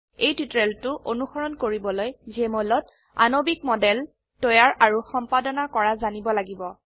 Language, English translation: Assamese, To follow this tutorial, you should know how to create and edit molecular models in Jmol Application